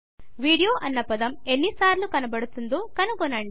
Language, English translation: Telugu, Find how many times the word video appears in the page